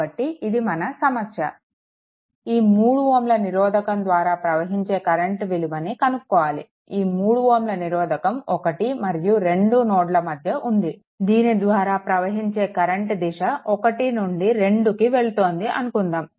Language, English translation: Telugu, So, this is the problem that you have to find out the current flowing through this 3 ohm resistance say, in this direction 1 to 2 so, between 0